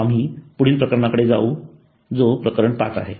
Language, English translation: Marathi, We will go on to the next case that is chapter 5